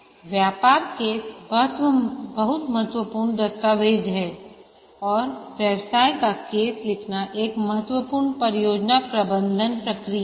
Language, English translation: Hindi, A business case is a very important document and writing a business case is a important project management process, initiating process